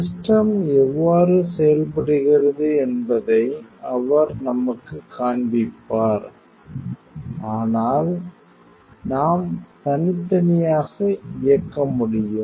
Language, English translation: Tamil, And he will show us how the system operates, but we can also operate independently